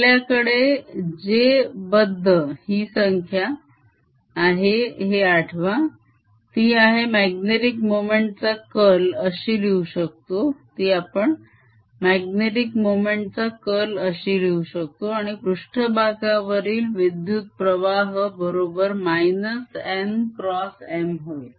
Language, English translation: Marathi, recall that we had j bound, which was curl of magnetic moment, and surface current, which was minus n cross m